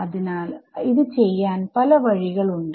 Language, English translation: Malayalam, So, there are many ways of doing it right